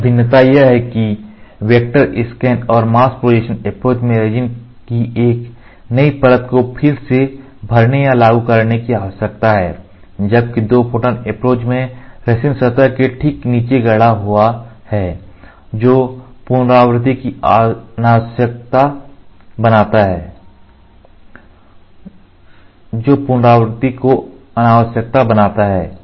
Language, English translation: Hindi, All another distinction is the need to recoat or apply a new layer of resin in the vector scan and mask projection approach while in the 2 photon approach, the path is fabricated below the resin surface making recoating unnecessary